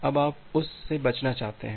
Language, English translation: Hindi, Now, you want to avoid that